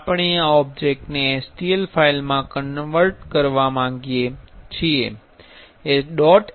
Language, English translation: Gujarati, So, we want to convert this object to an stl file